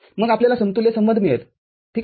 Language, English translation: Marathi, Then, you get an equivalent relationship ok